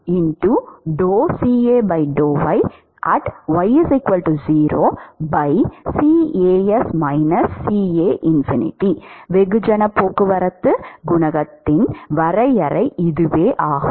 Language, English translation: Tamil, So, that is the definition for mass transport coefficient